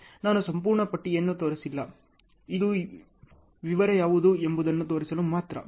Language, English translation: Kannada, I have not shown the complete list, this is only to show what is a detail ok